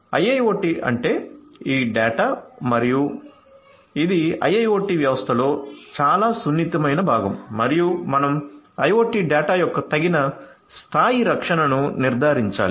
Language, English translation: Telugu, So, you have to so go to IIoT is this data and it is the most sensitive part of IIoT systems and you have to ensure suitable levels of protection of IoT data